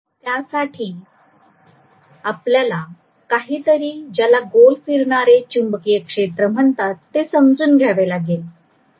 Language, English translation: Marathi, For that we will have to understand something called revolving magnetic field